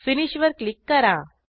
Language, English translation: Marathi, And then click on Finish